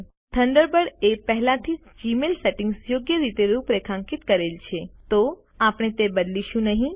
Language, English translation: Gujarati, As Thunderbird has already configured Gmail settings correctly, we will not change them